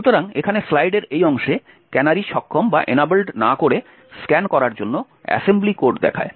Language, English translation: Bengali, So, over here on this part of the slide shows the assembly code for scan without canaries enabled